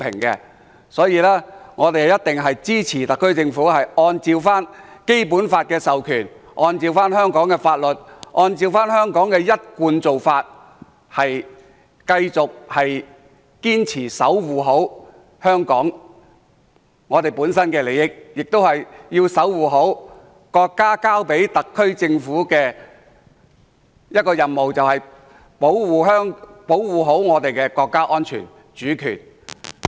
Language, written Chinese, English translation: Cantonese, 因此，我們一定支持特區政府按照《基本法》的授權，按照香港法律，按照香港的一貫做法，堅持好好守護香港本身的利益，亦要好好守護國家交給特區政府的任務，那就是好好保護我們的國家安全和主權。, Hence we will certainly lend our support to the SAR Government to act in accordance with the empowerment of the Basic Law in accordance with our law and in accordance with our established practice so as to safeguard Hong Kongs own interests and perform the duty assigned by our country which is to protect the security and sovereignty of our country